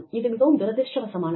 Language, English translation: Tamil, And, that is unfortunate